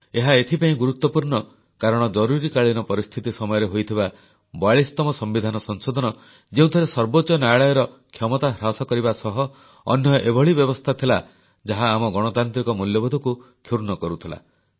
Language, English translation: Odia, This was important because the 42nd amendment which was brought during the emergency, curtailed the powers of the Supreme Court and implemented provisions which stood to violate our democratic values, was struck down